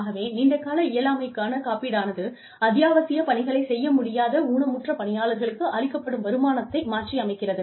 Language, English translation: Tamil, So, long term disability insurance provides, replacement income to disabled employees, who cannot perform, essential job duties